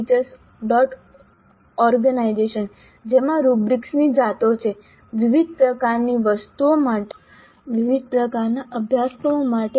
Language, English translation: Gujarati, org which contains a varieties of rubrics for a variety of items for a variety of courses